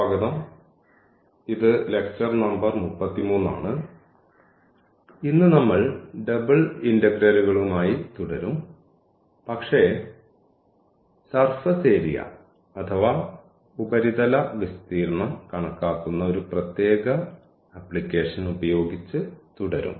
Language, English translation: Malayalam, Welcome back this is lecture number 33 and today again we will continue with this Double Integrals, but with a special application to surface computation of the surface area